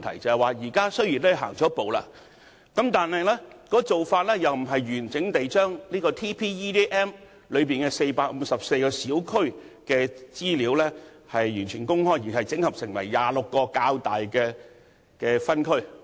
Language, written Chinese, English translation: Cantonese, 雖然當局已踏出了第一步，但卻不是完整地將《全港人口及就業數據矩陣》中的454個小區的資料公開，而是將資料整合成26個較大的分區。, Though the authorities have taken the first step it has not released the information of 454 small districts covered by TPEDM but only the aggregate data of 26 larger districts